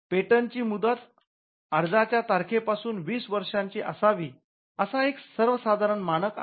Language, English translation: Marathi, It brought a common standard that the term of a patent shall be 20 years from the date of application